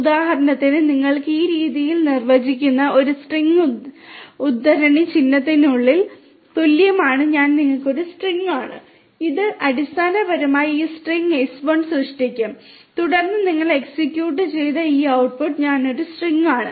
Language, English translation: Malayalam, So, for example, you can have a string defined in this manner s1 equal to within quotation mark I am a string, this will basically create this string s1 and then if you execute then you get this output I am a string